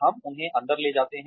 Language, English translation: Hindi, We bring them in